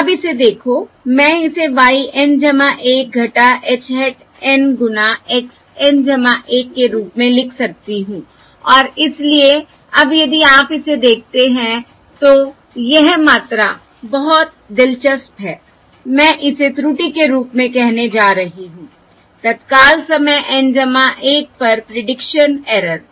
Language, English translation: Hindi, okay, So this quantity, h y N plus 1 minus h hat N times x N plus 1, this basically tells you, this prediction error, tells you how good your estimate h hat of N is at time instant N